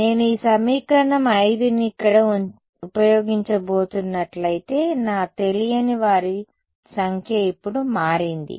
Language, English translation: Telugu, If I am going to use this equation 5 over here my number of unknowns has now become